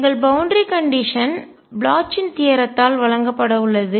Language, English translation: Tamil, Our boundary condition is going to be provided by the Bloch’s theorem